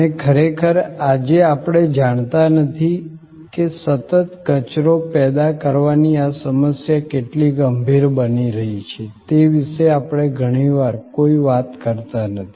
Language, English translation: Gujarati, And really, we do not know today we often do not thing about how critical this problem of continuous waste generation is becoming